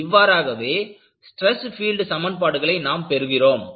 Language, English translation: Tamil, That is how; you will get the stress field equations